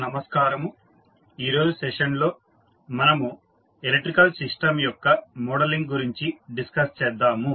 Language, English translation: Telugu, Namashkar, so, in today’s session we will discuss the modeling of electrical system